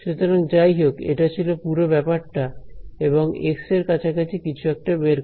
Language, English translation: Bengali, So, anyway this was whole thing was anyway and approximation of x itself right